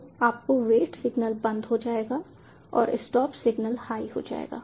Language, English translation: Hindi, so your wait signal will turn off and the stop signal will go high